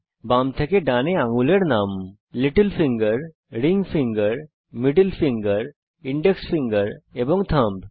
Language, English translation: Bengali, Fingers, from left to right, are named: Little finger, Ring finger, Middle finger, Index finger and Thumb